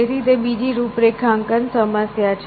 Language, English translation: Gujarati, So, that is another configuration problem